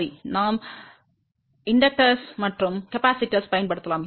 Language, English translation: Tamil, Well, we can use inductors and capacitor